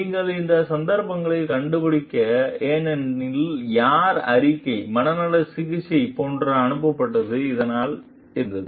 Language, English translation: Tamil, Because, you find in these cases who ever reported, where sent like for psychiatric treatment, so was it